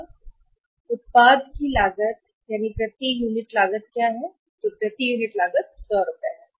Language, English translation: Hindi, And what is the cost of the product less cost per unit cost of the product of the cost of production per unit is 100 rupees